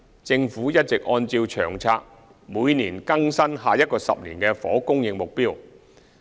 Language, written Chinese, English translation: Cantonese, 政府一直按照《長策》每年更新10年房屋供應目標。, The Government updates the 10 - year housing supply target under LTHS each year